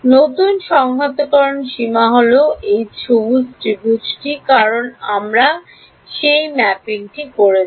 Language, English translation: Bengali, The new integration limits will be this green triangle, because we have done that mapping